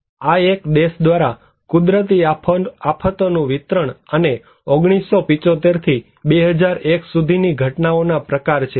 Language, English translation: Gujarati, This one is the distribution of natural disasters by country and type of phenomena from 1975 to 2001